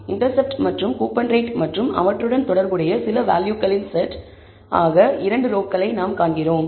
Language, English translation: Tamil, We see 2 rows which is intercept and coupon rate and certain set of values associated with them